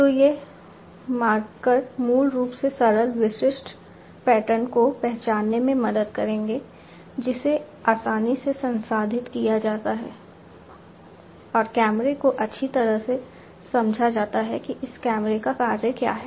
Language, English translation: Hindi, So, these markers basically will help in recognizing simple distinctive patterns, which can be easily processed and the camera is well understood what is the functioning of this camera